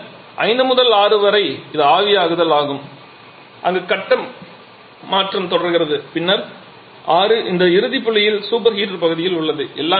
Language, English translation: Tamil, Then 5 to 6 it is the evaporation where the phase change goes on and then 6 to this final point where we have the super heater part